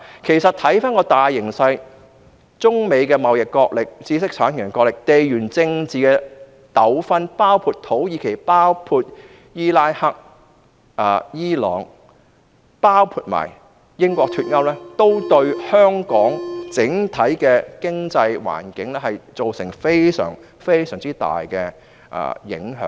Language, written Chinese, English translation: Cantonese, 其實，看回大形勢，中美貿易角力、知識產權角力、地緣政治糾紛，包括土耳其、伊拉克、伊朗，以及英國脫歐，均對香港整體經濟環境造成極大影響。, In fact the prevailing trends including the China - United States trade conflict the dispute over intellectual property rights the geopolitical disputes in Turkey Iraq Iran etc and Brexit have seriously plagued the economic landscape of Hong Kong